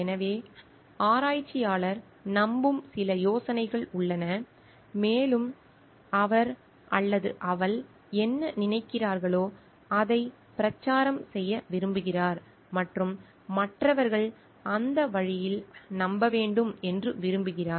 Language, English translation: Tamil, So, there are certain ideas which there are certain ideas maybe which the researcher believes in and what he or she feels like wants to be propagated and wants others to believe in that way